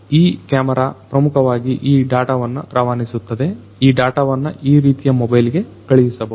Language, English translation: Kannada, So, this camera basically sends this data to, this data could be sent to a mobile phone like this